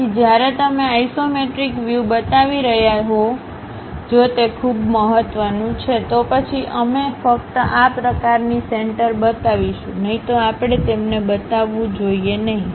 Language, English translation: Gujarati, So, when you are showing isometric views; if it is most important, then only we will show these kind of centerlines, otherwise we should not show them